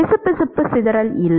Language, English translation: Tamil, There is no viscous dissipation